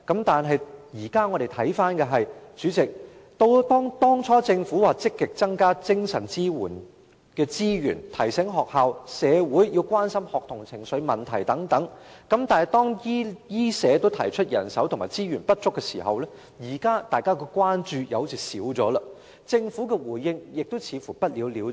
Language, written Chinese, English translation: Cantonese, 但是，主席，現時回頭看來，當初政府說積極增加精神支援的資源，提醒學校及社會要關心學童的情緒問題等；但是，當醫護及社福界均提出人手及資源不足時，因問題近有紓緩所以社會的關注似乎減少，而政府對此問題的態度也似乎不了了之。, However President in hindsight back then the Government said it would proactively increase resources for mental support remind schools and society to pay attention to students emotional problems etc . Nevertheless when the health care and social welfare sectors both pointed out the insufficiencies of manpower and resources social concern seemed to have lessened given that the problem had been alleviated the Governments attitude towards the problem seemed to just want it to be left unsettled